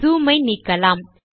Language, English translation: Tamil, Let me unzoom